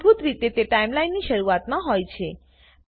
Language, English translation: Gujarati, By default, it is at the beginning of the Timeline